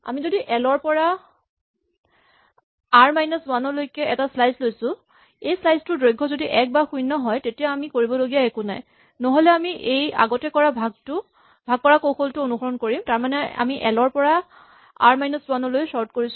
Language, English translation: Assamese, If we have something that we are doing a slice l to r minus 1, if this slice is 1 or 0 in length, we do nothing otherwise we follow this partitioning strategy we had before, which is that we are sorting from l to r minus 1